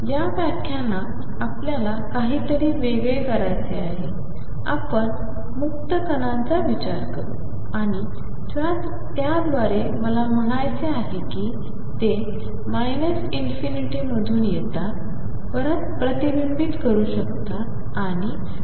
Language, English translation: Marathi, In this lecture, we want to do something different in this lecture, we consider free particles and by that I mean; they are coming from minus infinity may reflect back and go to plus infinity and so on